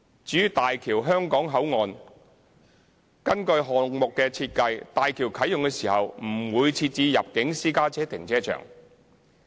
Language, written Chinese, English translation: Cantonese, 至於大橋香港口岸，根據項目的設計，大橋啟用時不會設置入境私家車停車場。, As regards Hong Kong Port according to the project design of HZMB there will be no inbound car park upon the commissioning